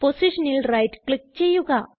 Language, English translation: Malayalam, Right click on the position